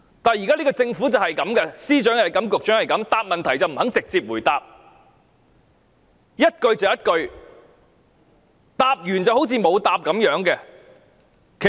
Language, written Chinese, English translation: Cantonese, 但是，這個政府就是這樣，司長是這樣，局長也是這樣，不肯直接回答問題，問一句答一句，答完都好像沒有答過一様。, However the Government the Secretaries of Departments the Directors of Bureaux all behave the same . They are not willing to answer the questions directly . They only give brief answers when being asked and their replies provide no information at all